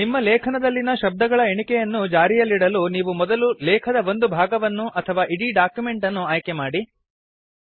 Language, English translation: Kannada, For maintaining a word count in your article, first select a portion of your text or the entire document